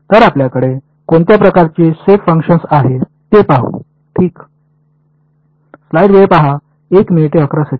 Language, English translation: Marathi, So, let us look at the kind of shape functions that we have ok